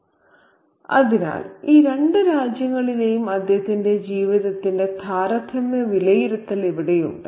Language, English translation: Malayalam, So, here we have a comparative evaluation of his life in both these countries